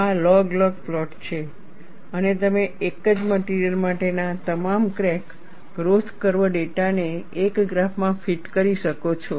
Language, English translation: Gujarati, This is the log log plot and you are able to fit all the crack growth curve data for a single material into a single graph